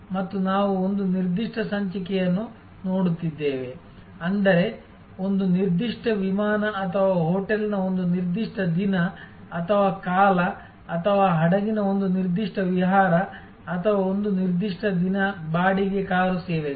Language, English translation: Kannada, And we are looking in to one particular episode; that means one particular flight or one particular day or season of a hotel or one particular cruise of a ship or one particular day of rental car services